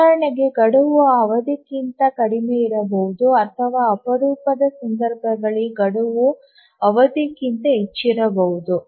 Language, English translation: Kannada, For example, deadline can be less than the period or in rare cases deadline can be more than the period